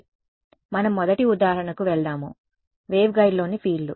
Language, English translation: Telugu, So, the first example they have is for example, fields in a waveguide